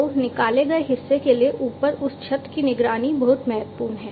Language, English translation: Hindi, So, that monitoring of that roof above the extracted portion is very important